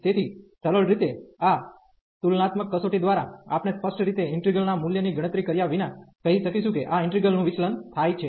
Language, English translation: Gujarati, So, by simple this comparison test, we are able to tell without explicitly computing the value of the integral that this integral diverges